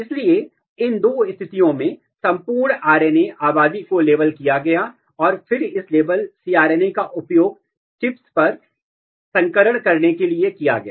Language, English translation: Hindi, So, entire RNA population in these two conditions, were labeled and then this labeled cRNA were used to do the hybridization in the chips